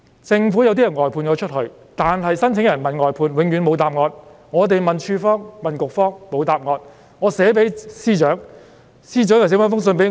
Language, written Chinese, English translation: Cantonese, 政府外判了部分相關工作，當申請人問外判，永遠得不到答案；我們問署方、局方，同樣沒得到答案。, It is buck - passing The Government has outsourced part of the relevant work . Applicants can never get any answer to the enquiries they made to the outsourcing contractors . Similarly I cannot get any answer to my questions from the government departments or bureaux